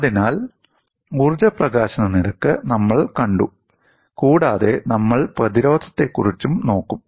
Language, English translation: Malayalam, So, we have seen the energy release rate and you will also look at the resistance